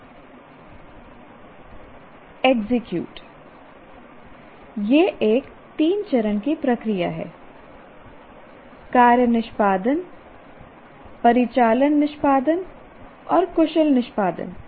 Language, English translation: Hindi, it is a three stage process, task execution, operational execution and skilled execution